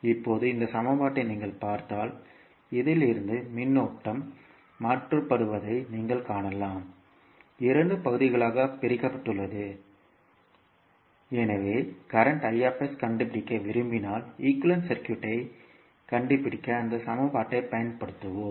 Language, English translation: Tamil, Now, if you see this equation so from this you can see that current i s is converted, is divided into two parts so we will use that equation to find out the equivalent circuit in case of we want to find out current i s